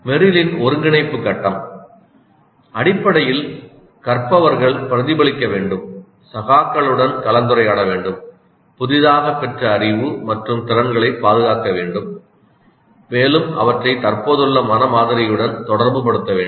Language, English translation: Tamil, Then the integration, the integration phase of Merrill essentially learners should reflect, discuss with peers, defend their newly acquired knowledge and skills, relate them to their existing mental model